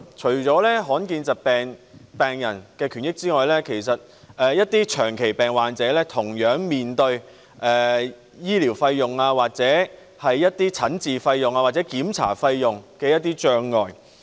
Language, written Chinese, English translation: Cantonese, 除了罕見疾病病人的權益外，其實一些長期病患者同樣面對與醫療費用、診治費用或檢查費用相關的困難。, Apart from the rights and interests of rare disease patients some chronic patients are also facing difficulties in relation to expenses for medical services treatment and examinations